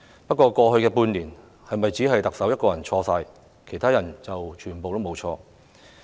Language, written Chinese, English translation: Cantonese, 不過，過去半年是否只是特首一個人的錯，其他人全部無錯？, Nevertheless are the happenings in the past six months the fault of the Chief Executive alone but nobody else?